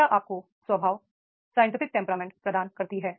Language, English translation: Hindi, Education gives you a temperament, a scientific temperament is there